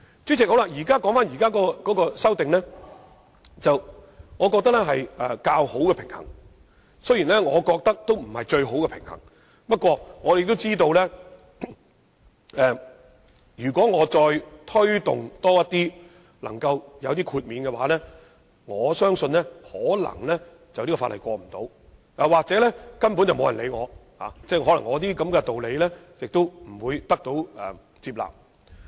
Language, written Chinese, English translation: Cantonese, 主席，我認為現在提出的修正案只是較好的平衡，而並非最佳做法，不過，我知道若再要求就更多情況作出豁免，《條例草案》可能會不獲通過，又或根本不會有人理會我，因這些道理未必可得到大家的接納。, Chairman I consider that we can only strike a better balance with the existing amendments and this is in no way the best arrangement . However I understand that if further requests are made for the granting of exemptions for more different scenarios we may not be able to secure passage of the Bill or no one will even support my proposals since fellow Members may not find these justifications acceptable